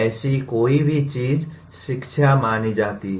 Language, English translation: Hindi, Anything like that is considered education